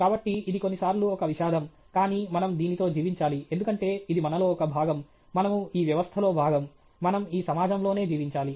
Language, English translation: Telugu, So, this is sometimes the tragedy, but we have to live with this, because it is a part of us, we are part of this system, we have to live in the society okay